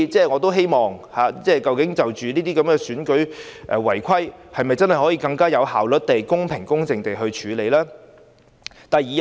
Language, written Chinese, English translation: Cantonese, 我希望就選舉違規情況，當局能更有效率地、公平公正地處理。, The authorities should deal with electoral offences in a more efficient and fairer manner